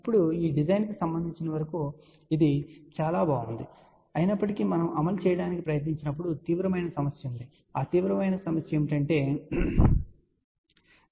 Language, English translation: Telugu, Now, as far as design is concerned it looks very nice, ok however, when we try to do the implementation there is a serious problem and what is that serious, problem the serious problem is this value, ok